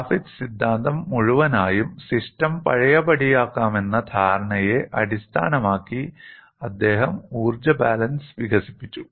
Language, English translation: Malayalam, Whole of Griffith theory, he developed this energy balance based on the premise that the system is reversible